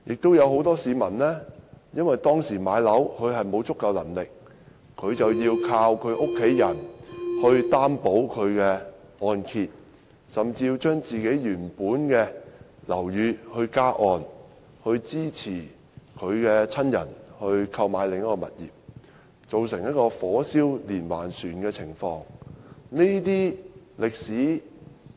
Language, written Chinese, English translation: Cantonese, 此外，很多市民置業時沒有足夠能力，要靠家人為按揭貸款作擔保，甚至要將家人原本的樓宇加按，以支持購買另一個物業，造成"火燒連環船"的情況。, Home buyers might have to pay a debt of several hundred thousand dollars or even more than one million dollars . Moreover many people who did not have sufficient financial means at the time of home acquisition asked their family members to act as guarantors on their home loans or even topped up the mortgage of the properties of their family members consequently a chain of people were affected